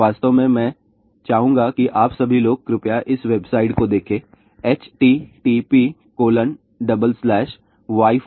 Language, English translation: Hindi, In fact, I would like that all of you people please see this website Wi Fi in schools dot com